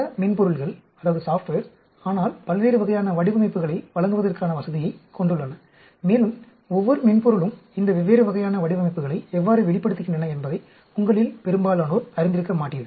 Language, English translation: Tamil, Many of the software, but have facility to give out designs of various types and most of you might not be aware how each software spews out these different types of designs